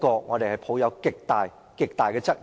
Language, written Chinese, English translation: Cantonese, 我對此抱有極大質疑。, I have serious doubts about this